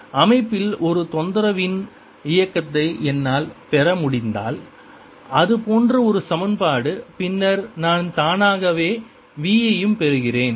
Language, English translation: Tamil, if i can get for the motion of a disturbance in a system an equation like that, then i automatically get v also latest